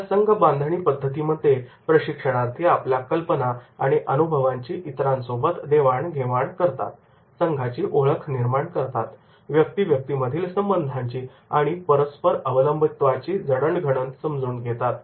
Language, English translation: Marathi, In group building methods, trainee share ideas and experiences, build group identity, understand the dynamics of interpersonal relationship and dependency